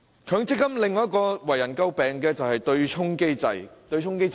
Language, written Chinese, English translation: Cantonese, 強積金另一個最為人詬病的特點是對沖機制。, MPF is also most severely criticized for its offsetting mechanism